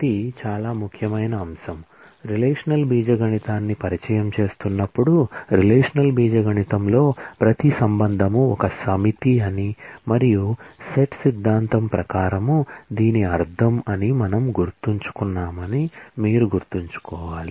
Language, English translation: Telugu, This is a very important factor, that you should keep in mind that we said, while introducing relational algebra, that in the relational algebra every relation is a set and which means that according to set theory